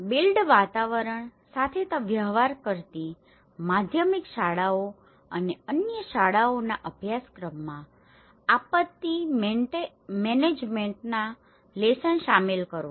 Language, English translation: Gujarati, Incorporating the disaster management lessons in the curriculum of secondary schools and other schools that deal with the built environment